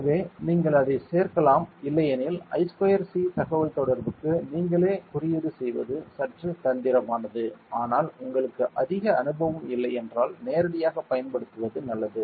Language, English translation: Tamil, So, you can add it otherwise it is a bit of tricky to code the I square C communication by yourself, but so it is better to use it directly if you are not very experienced